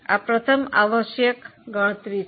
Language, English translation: Gujarati, This is the first compulsory calculation